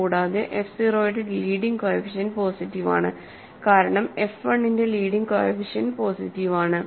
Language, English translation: Malayalam, Also, the leading coefficient of f 0 is positive because the leading coefficient of f 1 is positive